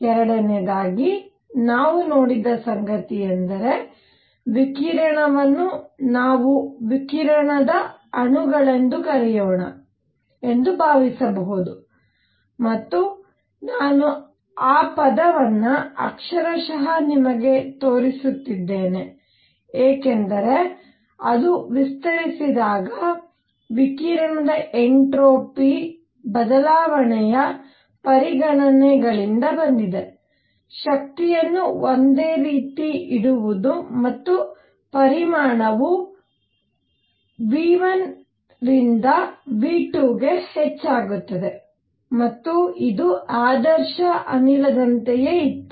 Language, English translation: Kannada, Number 2; not only this, what we also saw is that radiation itself can be thought of as composed of let us call radiation molecules and I am using that term, the literately to show you because it came from the considerations of entropy change of radiation when it expanded, keeping the energy same and the volume increase from v 1 to v 2 and it was the same as an ideal gas